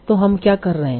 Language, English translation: Hindi, So what we are doing